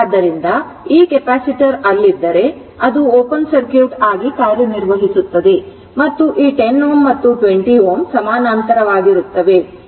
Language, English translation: Kannada, So, this is the capacitor was there it will act as an open circuit and this is i and this 10 ohm and 20 ohm are in parallel and this is 100 volt, right